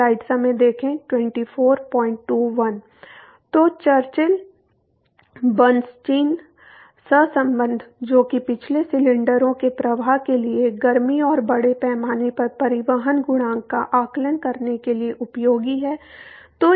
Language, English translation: Hindi, So, Churchill Bernstein correlation which a which is useful for estimating the heat and mass transport coefficient for flow past cylinders